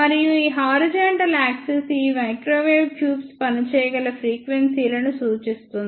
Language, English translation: Telugu, And this horizontal axis is the frequencies over which these microwave tubes can work